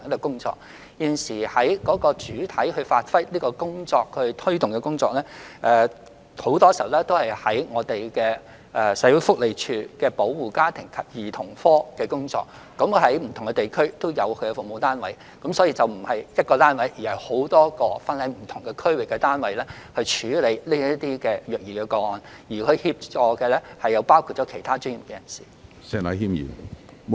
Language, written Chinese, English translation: Cantonese, 目前，主要負責推動這項工作的部門往往都是社署保護家庭及兒童服務課，它在不同地區均有服務單位，所以虐兒個案並非由一個單位處理，而是由多個分散各區的單位處理，其他專業人士亦會提供協助。, Currently FCPSUs of SWD have been tasked to be responsible for promoting such work . As there are FCPSUs across the territory child abuse cases are not handled by a single unit but by a number of units located in different districts with the assistance of other professionals